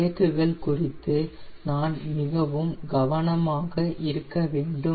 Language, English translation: Tamil, while doing there are, we need to be very careful about the brakes